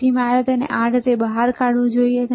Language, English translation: Gujarati, So, this is how you should take it out